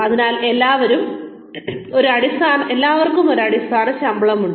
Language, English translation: Malayalam, So, everybody, has a base pay